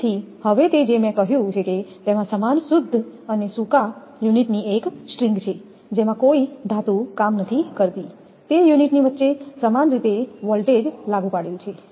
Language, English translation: Gujarati, So, now it is what I have said a string of identical clean and dry units with no metal work in it is proximity shares the applied voltage equally among the unit